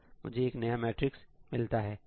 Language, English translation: Hindi, I get a new matrix